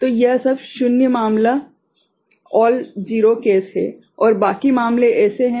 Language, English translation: Hindi, So, that is all zero case and rest of the cases are like this